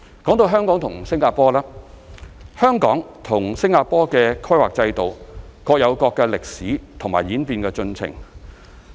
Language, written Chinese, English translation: Cantonese, 至於香港和新加坡方面，香港與新加坡的規劃制度各有各的歷史和演變進程。, With regard to Hong Kong and Singapore the planning systems of Hong Kong and Singapore have their own history and evolution